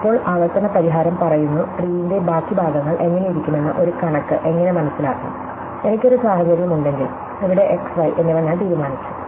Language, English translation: Malayalam, So, now, the recursive a solution will say, that how do a figure of what the rest of the tree looks like, well if I have a situation, where I have decided x and y go here